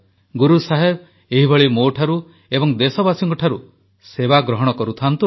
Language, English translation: Odia, May Guru Sahib keep taking services from me and countrymen in the same manner